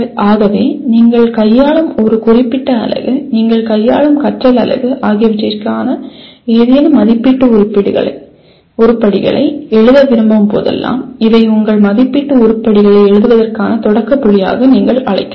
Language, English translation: Tamil, So these are whenever you want to write any assessment items for a particular unit that you are dealing with, learning unit you are dealing with, you can have these as the what do you call starting point for writing your assessment items